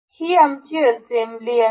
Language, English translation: Marathi, This is assembly our assembly